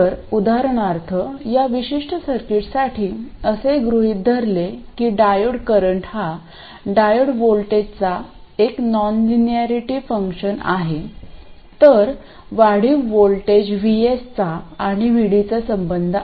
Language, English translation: Marathi, So, for instance for this particular circuit, assuming that the diode current is a non linearity F of the diode voltage, then the incremental voltages Vs and VD have this relationship